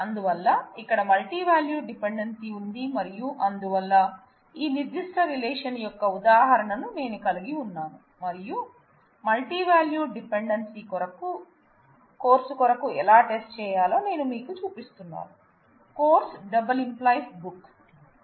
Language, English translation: Telugu, So, there is a multivalued dependency here and therefore, I can have an instance of this particular relation and I am just showing you, how to test for the multivalued dependency course multi determines book